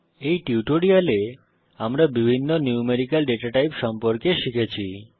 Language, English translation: Bengali, In this tutorial we have learnt about the various numerical datatypes